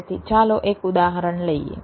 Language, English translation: Gujarati, ok, lets take a example